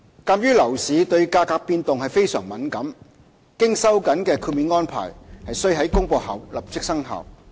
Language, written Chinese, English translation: Cantonese, 鑒於樓市對價格變動非常敏感，經收緊的豁免安排須於公布後立即生效。, Given the price - sensitive nature of the property market the tightened exemption arrangement has to come into immediate effect once announced